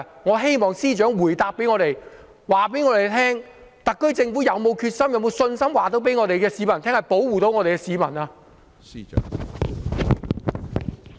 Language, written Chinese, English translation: Cantonese, 我希望司長在回答時告訴我們，特區政府是否有決心、是否有信心告訴市民政府能夠保護市民？, I hope that in his reply the Chief Secretary will tell us whether the SAR Government has the determination and confidence to assure the public that the Government is capable of protecting the people